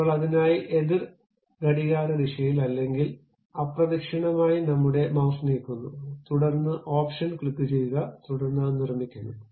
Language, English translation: Malayalam, Now, I am moving my mouse in the counter clockwise direction, then click the option, then it construct it